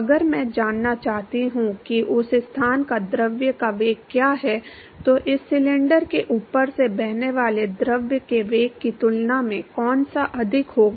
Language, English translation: Hindi, If I want to know what is the velocity of the fluid at that location compare to the velocity of the fluid which is flowing well above this cylinder, which one will be higher